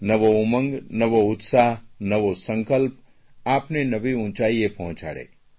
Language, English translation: Gujarati, I hope that new zeal, new excitement and new pledges may take you to new heights